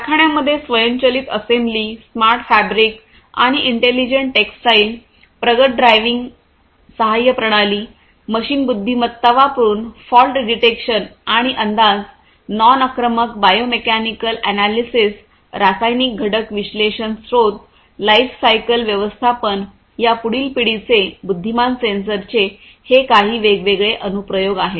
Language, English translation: Marathi, Automatic assembly in factories, smart fabric and intelligent textiles, advanced driving assistance systems, fault detection and forecast using machine intelligence, non invasive biomechanical analysis, chemical component analysis resource lifecycle management